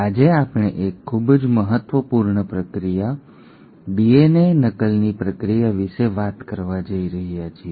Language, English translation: Gujarati, Today we are going to talk about a very important process, the process of DNA replication